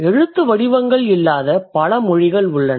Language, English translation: Tamil, There are many languages which do not have scripts